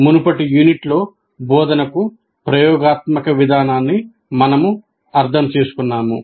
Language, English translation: Telugu, In the earlier unit, we understood the experiential approach to instruction